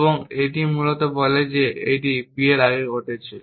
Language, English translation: Bengali, And this basically says that a happen before b and so on and so forth